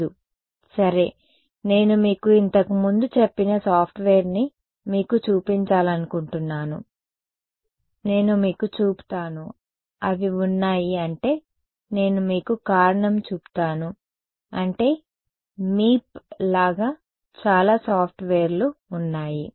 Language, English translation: Telugu, No ok so, the last thing that I want to show you is this software which I have mentioned to you previously, I will show you so, they have I mean I will show you the reason is I mean like Meep there are many many softwares